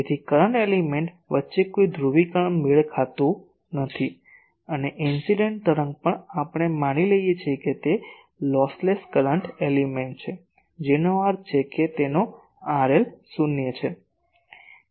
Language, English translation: Gujarati, So, there is no polarization mismatch between the current element and, the incident wave also we assume it is a lossless current element that means its R L is zero